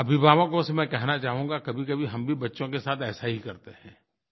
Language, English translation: Hindi, I would like to convey to parents that we do exactly the same with our children